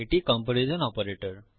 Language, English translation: Bengali, This is the comparison operator